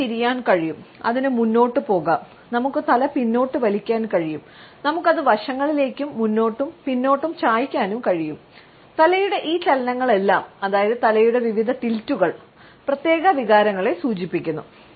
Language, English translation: Malayalam, It can turn, it can just forward; we can withdraw our head, we can tilt it sideways, forward and backward and all these movements of the head, our various tilts suggest a particular set of emotions to the other people